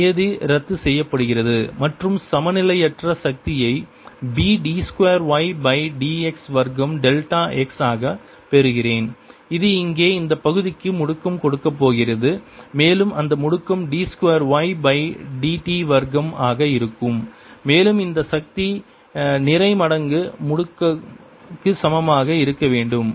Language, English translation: Tamil, this term cancels and i get the un balance force to be b d two y d x square delta x which is going to acceleration to this portion out here, and that acceleration is going to be d two y by d t mass square feet equal to mass times acceleration and mass times acceleration and mass of this portion is going to be a, its volume a delta x times the density row